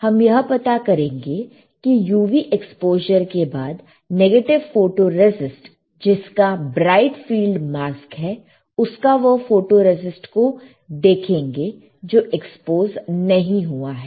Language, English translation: Hindi, We will find that after UV exposure this one with bright field mask and negative photoresist, what we will find